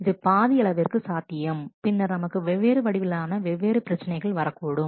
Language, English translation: Tamil, And it was partly possible, but then we are getting into different other kinds of different problems